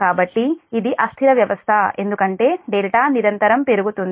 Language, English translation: Telugu, so it is unstable system because delta is continuously increasing